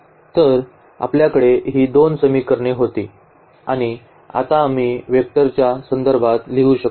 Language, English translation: Marathi, So, we had these two equations and now we can write down in terms of the in terms of the vectors